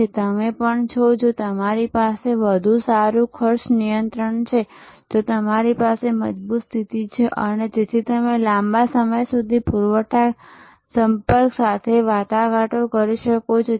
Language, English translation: Gujarati, So, also you are, if you have a better cost control then you have a stronger position and therefore, you are able to negotiate longer supply contacts